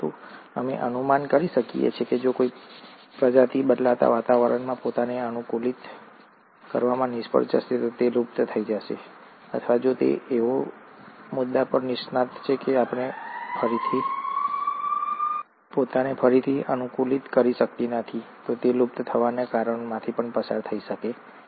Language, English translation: Gujarati, But, we speculate that if a species fails to adapt itself to a changing environment, it's going to become extinct, or if it specializes to such a point that it cannot re adapt itself, then also it can undergo a cause of extinction